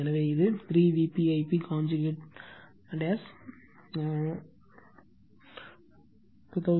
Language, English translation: Tamil, So, it will be 3 V p I p conjugate will be 2087 plus j 834